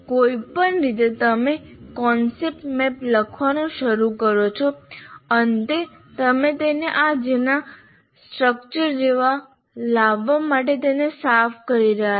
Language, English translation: Gujarati, In whatever way when you start writing the concept map, in the end you can clean it up to bring it into some kind of a structure like this